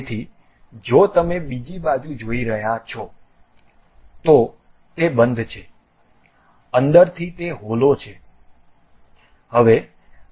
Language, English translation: Gujarati, So, if you are seeing on other side, it is close; inside it is a hollow one